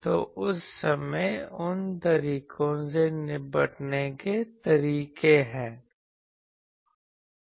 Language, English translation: Hindi, So that time, there are ways how to tackle those